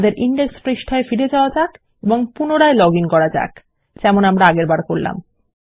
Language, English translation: Bengali, Lets go back to our index page and lets log in again, as we did before